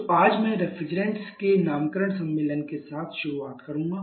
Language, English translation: Hindi, So, today I shall be starting with the naming convention of refrigerants